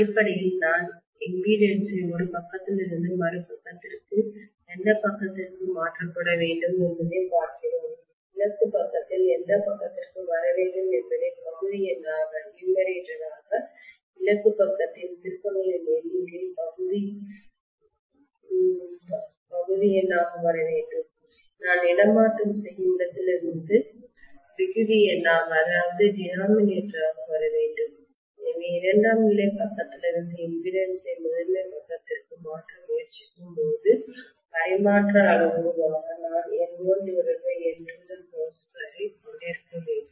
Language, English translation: Tamil, Basically we are looking at the impedance being transferred from one side to the other side to whichever side the destination side should be coming on the numerator, the number of turns of the destination side should come on the numerator and from where I am transferring should come on the denominator, so I should have N1 by N2 whole square as the transfer parameter when I am trying to transfer the impedance from the secondary side into the primary side, fine